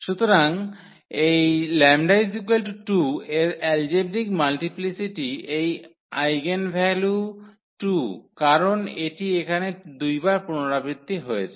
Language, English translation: Bengali, So, the algebraic multiplicity of this lambda is equal to 2 this eigenvalue 2 is because it is repeated 2 times here